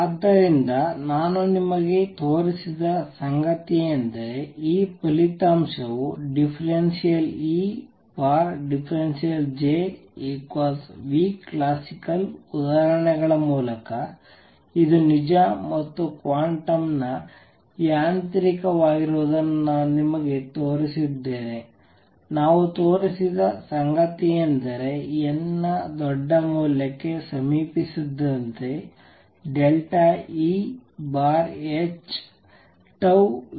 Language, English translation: Kannada, So, what I have shown you is that this result d E by d J is equal to nu classical through examples I have shown you that this is true and quantum mechanically, what we have shown is that as n approaches to large value delta E over h goes to tau times nu classical